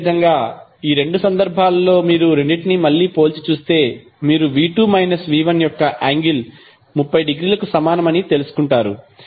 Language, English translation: Telugu, Similarly for these two cases if you compare both of them, again you will come to know the angle of V2 minus V1 is equal to 30 degree